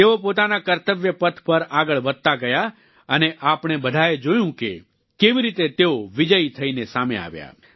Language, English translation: Gujarati, They marched forward on their path of duty and we all witnessed how they came out victorious